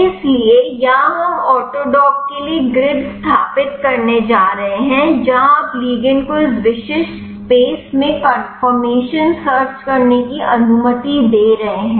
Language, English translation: Hindi, So, here we are going to set up the grid for autodock where you are allowing the ligand to do the conformation search in this specifies space